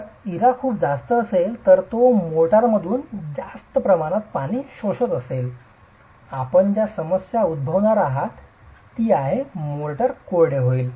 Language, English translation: Marathi, If the IRA is too high that is it is absorbing too much of water from the motor the problem that you are going to have is the motor will dry up